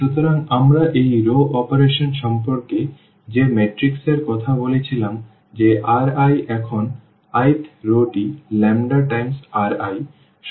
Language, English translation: Bengali, So, in terms of the matrices we talked about this row operation that R i now the i th row has become like lambda times R i